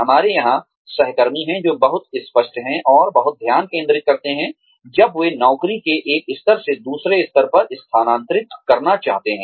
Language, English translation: Hindi, We have colleagues here, who are very clear on, and very focused on, when they would like to move, from one level of the job, to another level